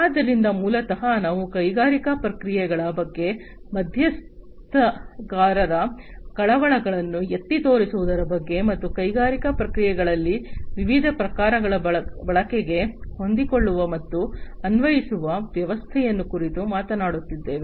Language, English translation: Kannada, So, basically we are talking about highlighting the stakeholders concerns regarding the industrial processes, and flexible and applicable system for use of various types in the industrial processes